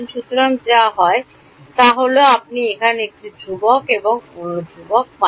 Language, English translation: Bengali, So, what happens is that you get one constant here and another constant here